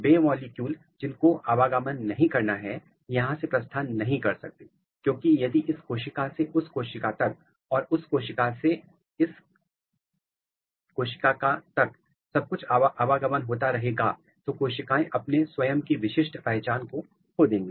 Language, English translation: Hindi, Those molecule which are not supposed to move they cannot move because, if everything moves from this cell to this cell and everything moves from this cell to this cell then both the cell will lose their own specific identity